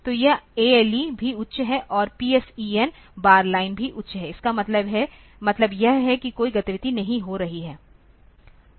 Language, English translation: Hindi, So, this ALE is also high and PSEN bar line is also high to mean that no activity is taking place